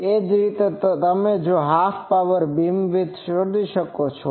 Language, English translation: Gujarati, Similarly, you can find half power beam width